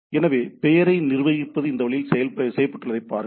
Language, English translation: Tamil, So, see the manageability of the name has been done in this way